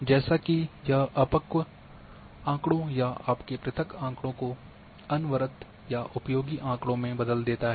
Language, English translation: Hindi, As that it turns raw data or your discrete data into continuous data or useful information